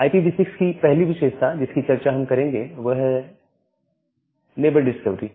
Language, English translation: Hindi, The first feature that we will discuss is neighbor discovery